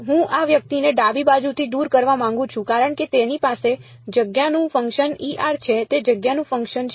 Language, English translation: Gujarati, I want to get I want to remove this guy from the left hand side because it has a function of space epsilon r is a function of space